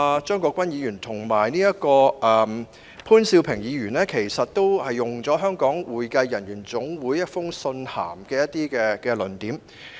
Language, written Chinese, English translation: Cantonese, 張國鈞議員和潘兆平議員剛才均引用了香港會計人員總會提交的意見書中的一些論點。, Both Mr CHEUNG Kwok - kwan and Mr POON Siu - ping have cited some of the arguments put forward by the Hong Kong Accounting Professionals Association HKAPA in its submission